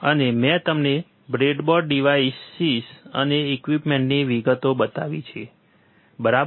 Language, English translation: Gujarati, And I have shown you the breadboard devices and the details about the equipment, right